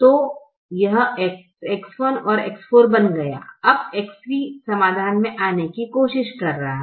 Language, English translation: Hindi, now x three is trying to come in to the solution